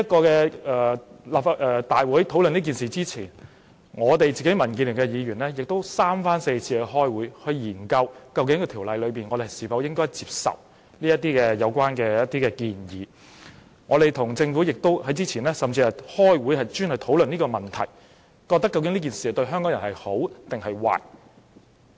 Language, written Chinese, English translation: Cantonese, 在大會討論《條例草案》之前，民建聯的議員亦三番四次開會，研究我們應否接受《條例草案》的一些建議，我們之前甚至與政府開會，專門討論這個問題，研究這樣做對香港人孰好孰壞。, Before the Bill was considered at this Council meeting Members of the Democratic Alliance for the Betterment and Progress of Hong Kong DAB already had several meetings to discuss whether we should support some of the proposals in the Bill . We even had a prior meeting with the Government to exclusively discuss this issue . We want to know if the proposed arrangement is conducive to Hong Kong people or not